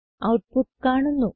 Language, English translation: Malayalam, The output is now correct